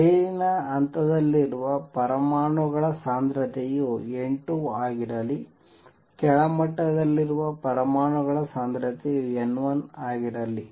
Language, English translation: Kannada, Let the density of atoms in the upper level be n 2, density of atoms in the lower level be n 1